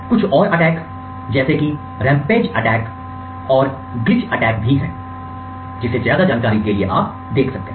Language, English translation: Hindi, Other attacks are the rampage attacks and the glitch attacks you could actually look up these attacks for more details